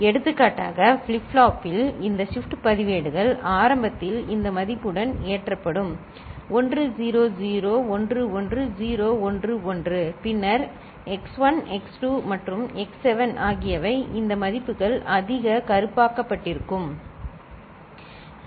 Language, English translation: Tamil, For example, if the flip flops this shift registers is initially loaded with this value 1 0 0 1 1 0 1 1 ok, then x1 x2 and x7 are these values, the ones in the bold, right